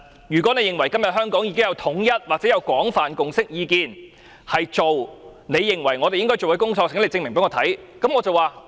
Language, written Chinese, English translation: Cantonese, 如果你認為今天香港已經有統一，或者廣泛共識意見，認為政府要做你認為我們應該做的工作，請你證明給我看。, If you think there is a unified view or a broad consensus in Hong Kong today that the Government should do what you think we ought to do please prove it to me